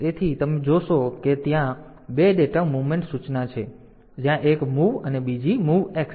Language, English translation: Gujarati, So, will see that there are two data movement instruction one is sorry one is MOV and the other is MOVX